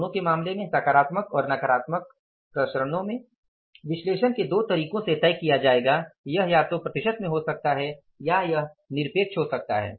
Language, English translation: Hindi, In case of both positive and negative variance is analysis we decide into two ways, it can be either in the percentage terms or it can be in absolute terms